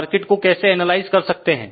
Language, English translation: Hindi, But how the circuit can be analysed